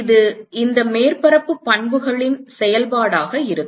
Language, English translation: Tamil, And it is going to be a function of these surface properties